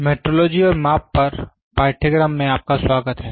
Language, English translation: Hindi, Welcome to the course on metrology and measurements